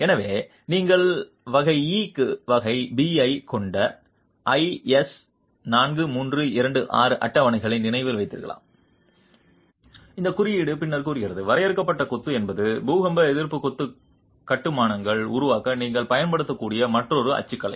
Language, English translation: Tamil, So, if you remember the IS 4 3 to 6 tables where you have category B to category E, this code is then saying that confined masonry is another typology that you can use to construct earthquake resistant masonry constructions